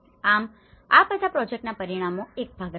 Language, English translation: Gujarati, So all these have been a part of the project outcomes